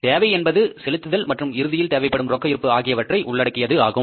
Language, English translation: Tamil, Needs include the disbursements plus the desired ending cash balance